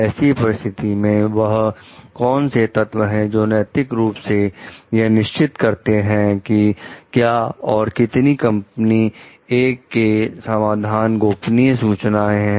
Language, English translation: Hindi, What facts in this situation are morally relevant to decide whether or how much of company A s configuration solution is confidential information